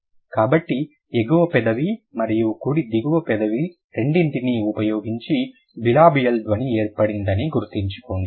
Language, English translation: Telugu, So, remember a bilibial sound is formed using both upper lip and then the lower lip, right